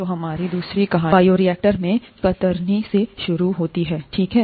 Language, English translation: Hindi, So our second story starts with shear in the bioreactor, okay